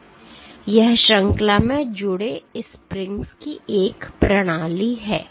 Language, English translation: Hindi, So, this is a system of springs connected in series